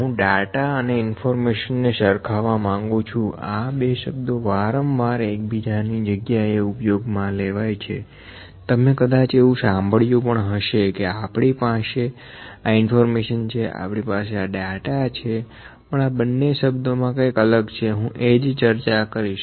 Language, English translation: Gujarati, I will try to compare the data and information these two words are used interchangeably and multiple times you might have heard we have we have this information, we have this data, but there is a difference between these two words I will just discussed that